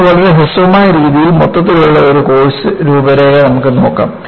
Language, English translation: Malayalam, Now, we will have an overall course outline, in a very brief fashion